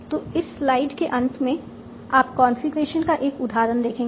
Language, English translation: Hindi, So at the bottom of this slide you have seen one example of a configuration